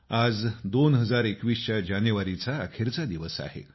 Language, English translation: Marathi, Today is the last day of January 2021